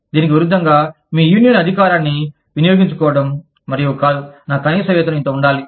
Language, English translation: Telugu, As opposed to, exercising your union power, and saying, no, my minimum wage has to be this much